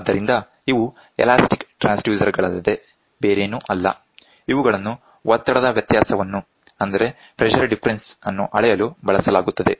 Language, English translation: Kannada, So, these are nothing but elastic transducers which are used to measure the pressure difference